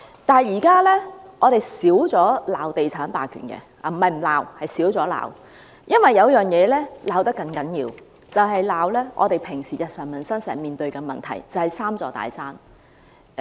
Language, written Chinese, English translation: Cantonese, 不過，現時我們較少指責地產霸權——不是不罵，只是少罵了——因為有其他東西被罵得更厲害，就是日常生活中經常面對的問題，即是"三座大山"。, However we now criticize real estate hegemony less frequently―we have not stopped making criticisms just making criticisms less often―because there are other issues attracting more criticisms which are the problems often encountered in our daily life namely the three big mountains